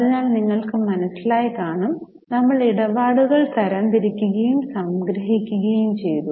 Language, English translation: Malayalam, So, what you would have realized is we have summarized, we have categorized and summarized the transactions